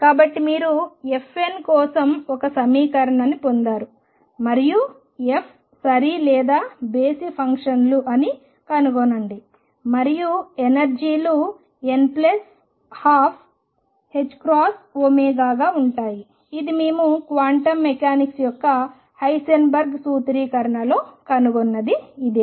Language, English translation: Telugu, So, you derive an equation for f n and find fs to be either even or odd functions an energies come out be n plus one half h cross omega which is exactly the same that we found in Heisenberg formulation of quantum mechanics